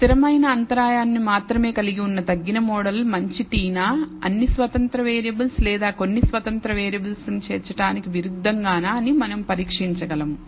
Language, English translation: Telugu, So, we can test whether the reduced model which contains only the constant intercept parameter is a good t as opposed to including all the independent variables, some or all the independent variables, that is what we call the full model